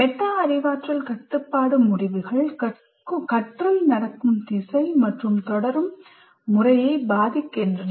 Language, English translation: Tamil, Metacognitive control decisions influence the direction and the manner in which learning will continue